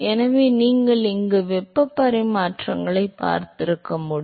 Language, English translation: Tamil, So, you must have seen these heat exchangers